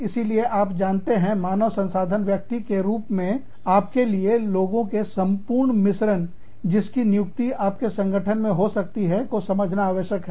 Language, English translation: Hindi, So, you know, as a human resource person, you need to understand, this whole mix of people, who could be employed, in your organization